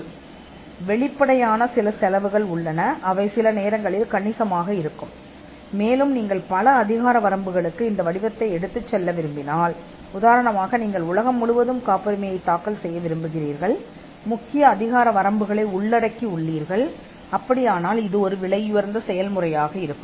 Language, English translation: Tamil, There are upfront costs in patenting, which are sometimes substantial, and if you want to take the pattern to multiple jurisdictions; say, you want to file patents all over the world, cover the major jurisdictions, then it will be a expensive process to do